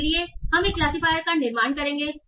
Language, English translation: Hindi, So we will build a classifier